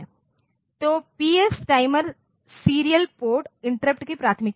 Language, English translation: Hindi, So, PS is the priority of timer serial port interrupts